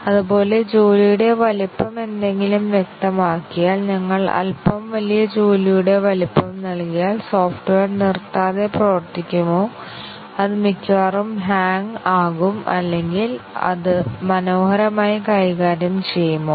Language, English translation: Malayalam, Similarly, if the job size is specified something, and if we give slightly larger job size, will the software perform very discontinuously, it will almost hang or will it gracefully handle this